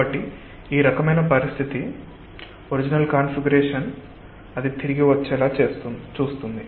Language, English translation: Telugu, so this type of situation ensures that it tends to come back to its original configuration